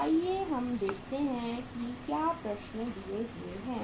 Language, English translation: Hindi, So if we see the problems are given